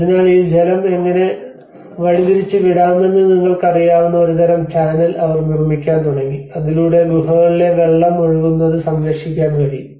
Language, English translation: Malayalam, So, then they started making a kind of channel you know how to divert this water so that at least it can protect the water seepage in the caves